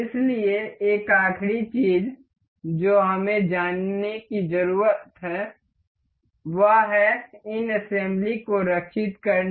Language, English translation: Hindi, So, one last thing that we need to know is to for saving of these assembly